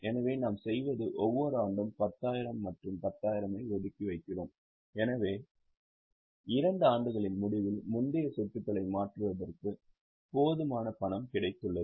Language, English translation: Tamil, So, what we do is every year, let us say we keep aside 10,000, 10,000, so that at the end of two years we have got enough money for replacement of earlier assets